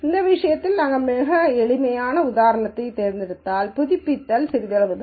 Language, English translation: Tamil, In this case because we chose a very simple example the updation is only slight